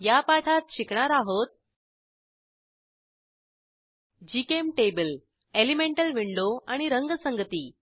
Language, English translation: Marathi, In this tutorial, we will learn about * GChemTable * Elemental window and Color schemes